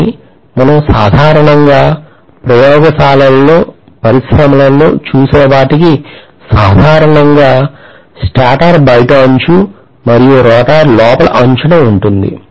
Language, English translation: Telugu, But whatever we normally see in the laboratories, see in the industries, normally the stator is outer periphery and rotor is going to be in the inner periphery